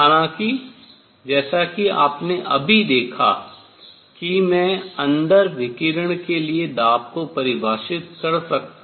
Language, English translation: Hindi, However, as you just seen that I can define pressure for radiation inside, I can define in terms of temperature